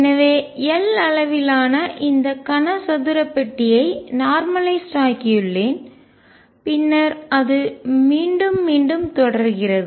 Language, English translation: Tamil, So, I have box normalized over this cube of size L and then it keeps repeating and so on